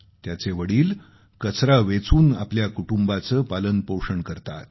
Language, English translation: Marathi, His father earns his daily bread by wastepicking